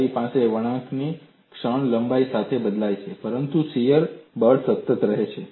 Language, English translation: Gujarati, You have the bending moment varies along the length, but the shear force remains constant